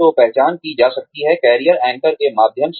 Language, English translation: Hindi, So, the identification can be done, through the career anchors